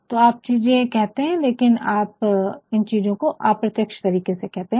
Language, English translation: Hindi, So, you are saying things, but you are saying things in a very indirect manner